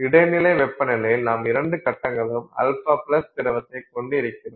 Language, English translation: Tamil, In intermediate temperatures you have both phases, alpha plus liquid